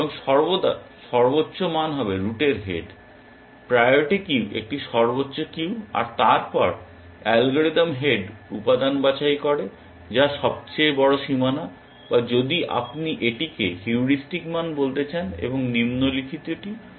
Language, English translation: Bengali, And always the highest value will be the head of the root, the priority queue a max queue then, the algorithm picks the head element which is the value with the largest bound or heuristic value if you want to call it, and does the following